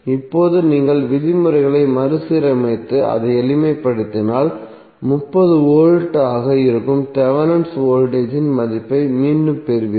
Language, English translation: Tamil, Now if you rearrange the terms and simplify it you will again get the value of Thevenin voltage that is 30V